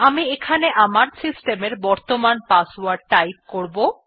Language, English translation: Bengali, Here I would be typing my systems current password